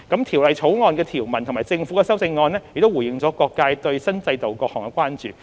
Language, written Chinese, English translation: Cantonese, 《條例草案》的條文及政府的修正案已回應了各界對新制度的各項關注。, The provisions of the Bill and the Governments amendments have addressed the concerns of various sectors about the new regime